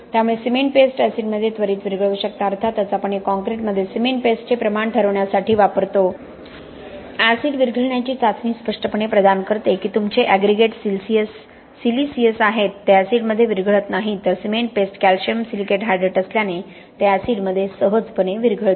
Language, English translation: Marathi, So you can very quickly dissolve your cement paste in acid of course we use that as a means of determining the amount of cement paste in concrete right, the acid dissolution tes,t provided obviously that your aggregates are siliceous aggregates they do not dissolve in acid whereas cement paste being a calcium silicate hydrate it dissolves easily in acid